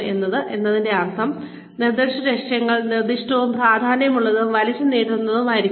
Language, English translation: Malayalam, S stands for, specific objectives, should be specific, significant and stretching